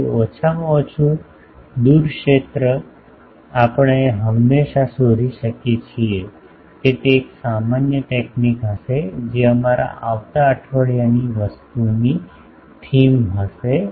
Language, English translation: Gujarati, So, at least far field we can always find out that will be a generalised technique that will be the theme of our next weeks thing ok